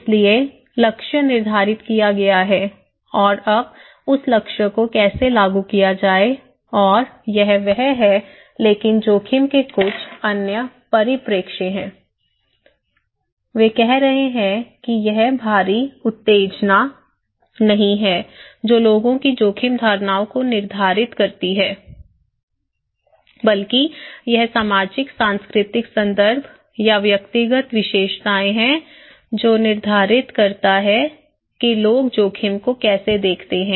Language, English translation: Hindi, So, target is set and now how to implement that target and thatís it but there are some other perspective of risk, they are saying that it is not that external stimulus that determines people's risk perceptions but it is the socio cultural context or individual characteristics that define the way people perceive risk